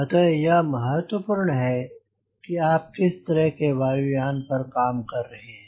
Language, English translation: Hindi, so it is important to see what type of aircraft is are doing